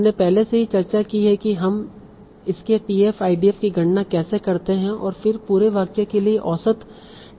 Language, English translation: Hindi, We already discussed how do we compute TF idea of weight and then take an average TF idea for the whole sentence